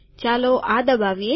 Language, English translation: Gujarati, Lets click this